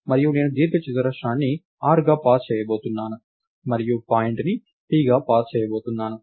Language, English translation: Telugu, And I am going to pass the rectangle as r and going to pass the point p as ah